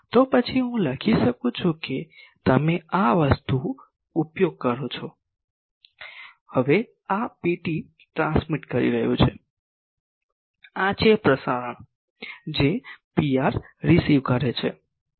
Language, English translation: Gujarati, Then can I write that you do this thing that, now this is transmitting P t, this is transmit receiving P r the things are same